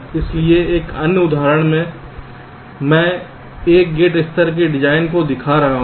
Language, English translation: Hindi, so another example i am showing for a gate level design